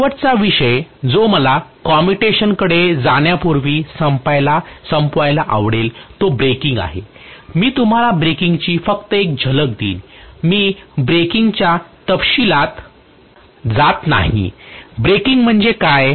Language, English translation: Marathi, The last topic I would like to cover before I go on to commutation is braking I will just give you a glimpse of braking, I am not going into the details of braking, what is braking